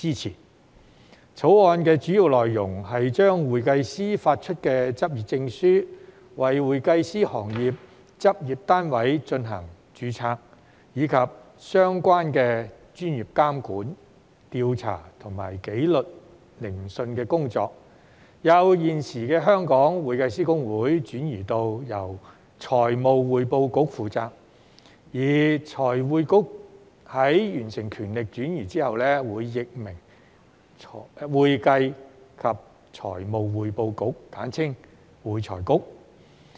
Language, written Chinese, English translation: Cantonese, 《條例草案》的主要內容是將向會計師發出執業證書、為會計師行業執業單位進行註冊，以及相關的專業監管、調査和紀律聆訊的工作，由現時的香港會計師公會轉移至由財務匯報局負責；而財匯局在完成權力轉移後，會易名為"會計及財務匯報局"。, The main contents of the Bill concern the transfer of the current functions of the Hong Kong Institute of Certified Public Accountants HKICPA to the Financial Reporting Council FRC in respect of issuing practising certificates to certified public accountants CPAs registering practice units in the accounting profession as well as professional regulation investigation and disciplinary hearings relating to the profession . Upon completion of the transfer of powers FRC will be renamed the Accounting and Financial Reporting Council AFRC